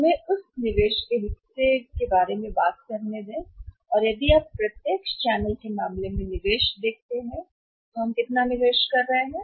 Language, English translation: Hindi, So, let us talk about that part investment part and if you see the investment in case of the direct channel, how much investment we are making investment